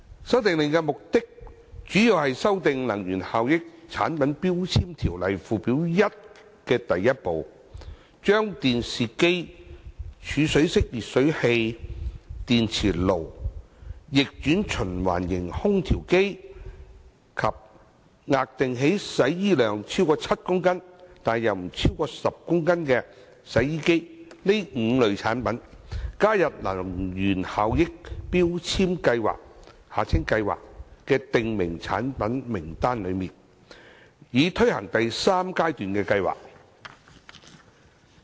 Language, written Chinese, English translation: Cantonese, 《修訂令》的目的，主要是修訂《能源效益條例》附表1第1部，把電視機、儲水式電熱水器、電磁爐、逆轉循環型空調機及額定洗衣量超過7公斤但不超過10公斤的洗衣機這5類產品，加入強制性能源效益標籤計劃的訂明產品名單，以推行第三階段計劃。, The Amendment Order mainly seeks to amend Part 1 of Schedule 1 to the Energy Efficiency Ordinance by adding five types of products namely televisions storage type electric water heaters induction cookers room air conditioners of reverse cycle type and washing machines with A rated washing capacity exceeding 7 kg but not exceeding 10 kg into the list of prescribed products for the purpose of implementing the third phase of the Mandatory Energy Efficiency Labelling Scheme MEELS